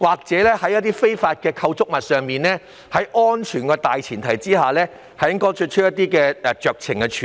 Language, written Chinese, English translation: Cantonese, 就一些非法構築物，在顧及安全的大前提下應容許作出酌情處理。, Provided that the safety standards are met discretionary measures should be allowed in dealing with certain illegal structures